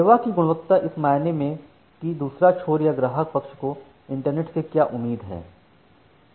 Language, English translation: Hindi, Quality of service in the sense that what the other end or the client side is expecting from the internet